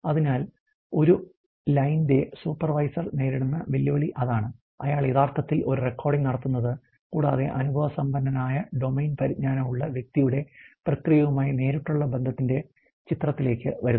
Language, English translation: Malayalam, So, that something that is really the challenge that supervisor of a line faces, who is actual doing this recording, and that where the experiential domain knowledge comes into a picture of a direct association with the process of the concern person